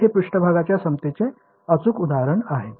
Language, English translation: Marathi, So, it is a perfect example of a surface equivalence